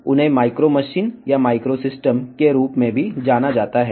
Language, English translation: Telugu, They are also known as micro machines or micro systems